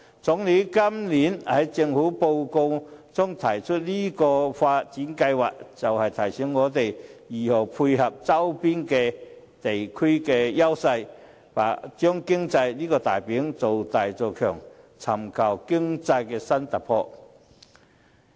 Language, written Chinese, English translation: Cantonese, 總理今年在政府工作報告中提出這項發展計劃，便是要提醒我們如何配合周邊地區的優勢，將經濟這塊"餅"造大做強，尋求經濟新突破。, The Premier mentioned this development project in this years Report on the Work of the Government to remind us of how we should tie in with the advantages of our peripheral regions to make a bigger economic pie so as to explore new economic breakthrough